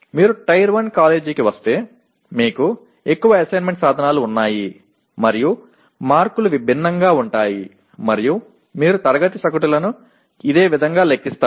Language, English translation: Telugu, Whereas if you come to Tier 1 college, you have more assessment instruments and the marks are different and you compute the class averages in a similar way